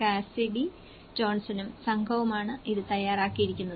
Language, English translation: Malayalam, This has been prepared by the Cassidy Johnson and her team